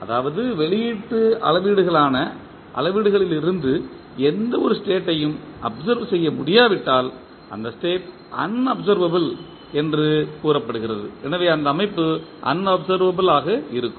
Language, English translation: Tamil, That means that if anyone of the states cannot be observed from the measurements that is the output measurements, the state is said to be unobservable and therefore the system will be unobservable